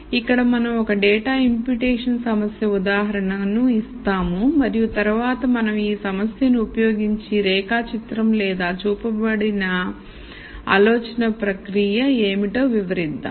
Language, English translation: Telugu, So, here we pose an example data imputation problem and then we use this problem to kind of explain what this flowchart or the guided thought processes